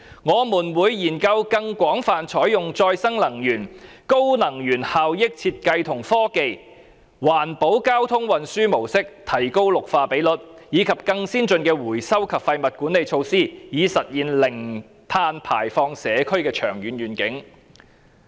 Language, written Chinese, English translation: Cantonese, 我們會研究更廣泛採用再生能源、高能源效益設計和科技、環保交通運輸模式，提高綠化比率，以及更先進的回收及廢物管理措施等，以實現零碳排放社區的長遠願景。, We will explore the wider use of renewable energy energy efficient design and technologies green transport higher greening ratio more advanced recycling and waste management measures etc . to progress towards the long - term vision of carbon - neutral community . With such a vision it is of course a green project